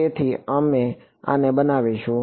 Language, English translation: Gujarati, So, we will make this to be